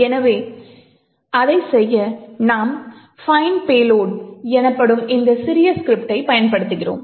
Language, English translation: Tamil, So, in order to do that we use this small script called find payload